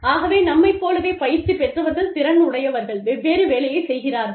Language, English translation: Tamil, So, people, who are as trained, as skilled as us, but are doing, something different